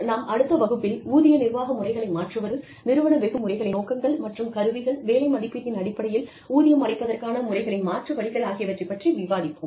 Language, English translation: Tamil, And, we will discuss, changing salary administration systems and components, and objectives of organizational rewards systems, and the alternatives to pay systems based on job evaluation, in the next class